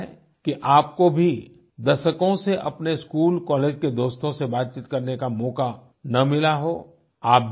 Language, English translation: Hindi, It's possible that you too might not have gotten a chance to talk to your school and college mates for decades